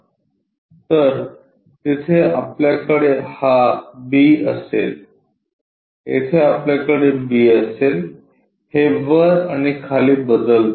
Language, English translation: Marathi, So, there we will have this b, there we will have b, it comes top and bottom switches